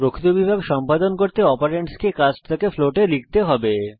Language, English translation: Bengali, To perform real division one of the operands will have to be typecast to float